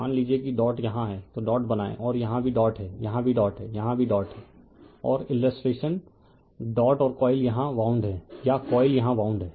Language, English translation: Hindi, Suppose if dot is here here you have make the dot and here also dot is there here also dot is there here also dot is there right and your your illustration of dot and coils are wound here right or the coils are wounds here